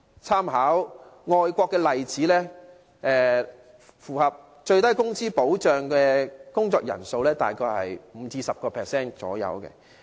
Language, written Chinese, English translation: Cantonese, 參考外國的例子，符合最低工資保障的工作人數大約是 5% 至 10%。, Drawing reference from overseas experience the number of workers eligible for minimum wage protection is about 5 % to 10 %